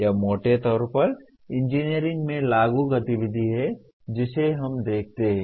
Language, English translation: Hindi, That is broadly the apply activity in engineering that we see